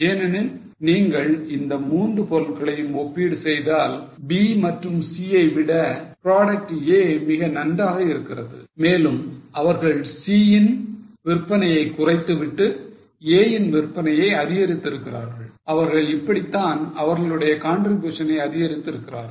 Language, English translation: Tamil, Because if you compare the three products, product A is much better than B or C and they have increased the sales of A while have cut down the sale of C